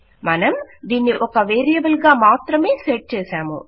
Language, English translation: Telugu, Weve just set it as a variable